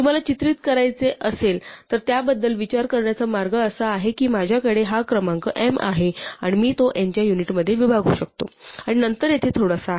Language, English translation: Marathi, The way to think about it if you want to pictorially is that I have this number m and I can break it up into units of n and then there is a small bit here